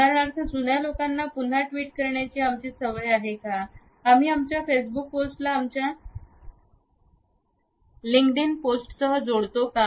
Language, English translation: Marathi, How often we link different media platforms in our own suggestions, for example, are we habitual of re tweeting the old tweets, do we connect our Facebook post with our linkedin post also